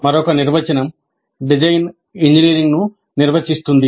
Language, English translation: Telugu, Another definition is design defines engineering